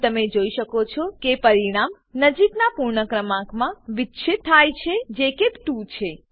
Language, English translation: Gujarati, Here you can see the result is truncated to the nearest whole number which is 2